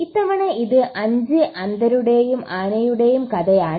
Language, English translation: Malayalam, This time it’s a story of 5 blind men and the elephant